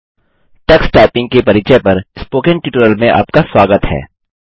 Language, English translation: Hindi, Welcome to the Spoken Tutorial on Introduction to Tux Typing